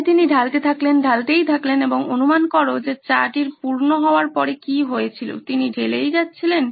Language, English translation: Bengali, So he kept pouring in, kept pouring in, and guess what happened to that tea that he was pouring after it was full